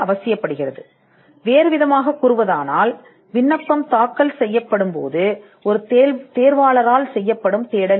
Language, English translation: Tamil, Now in other words, this is a search that is done by an examiner when an application is filed